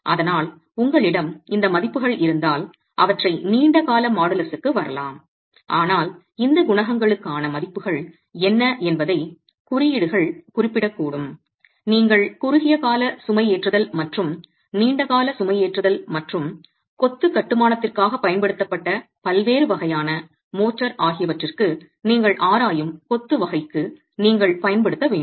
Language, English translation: Tamil, So if you have these values you could use them to arrive at the long term modulus but if not codes may specify what values for these coefficients should you use for the type of masonry that you are examining versus for short term loading versus long term loading and again for different types of motor that is being used for the masonry construction